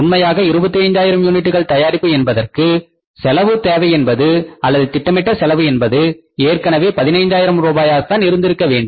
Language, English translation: Tamil, Actual requirement for manufacturing 25,000 units, the cost requirement was or the cost estimates should have been already 15,000